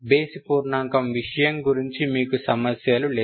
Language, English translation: Telugu, Odd integer, odd integer case you don't have problems